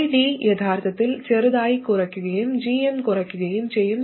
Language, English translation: Malayalam, ID will actually reduce slightly and GM also reduces